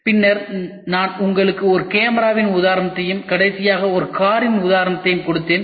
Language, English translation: Tamil, Then I gave you an example of a camera and the last one I give an example of a car